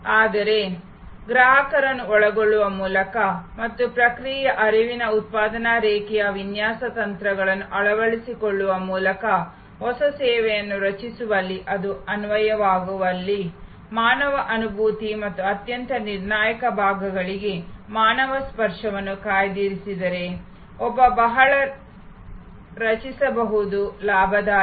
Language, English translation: Kannada, But in creating a new service by involving the customer and adopting process flow manufacturing line design techniques, where it is applicable, reserving human empathy and a human touch for the most critical portions, one can create very profitable